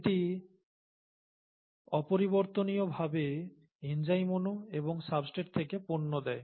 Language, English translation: Bengali, And this irreversibly goes to give the enzyme molecule back and the product from the substrate, okay